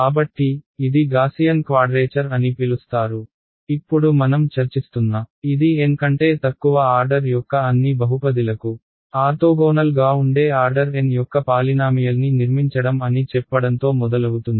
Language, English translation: Telugu, So, this so called Gaussian quadrature that we are discussing now it starts with saying construct a polynomial of order N such that it is orthogonal to all polynomials of order less than N